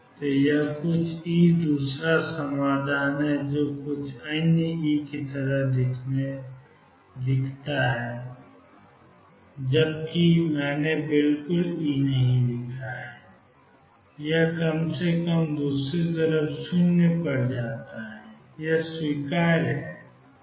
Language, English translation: Hindi, So, this is some e second solution go to do like this some other e unless I have exactly write E that at least goes to 0 on the other side and that is acceptable